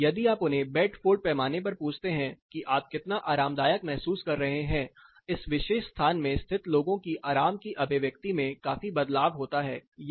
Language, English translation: Hindi, Whereas, if you ask them on Bedford scale how comfortable you are people located in this particular thing the expression of comfort considerably changes this is heat discomfort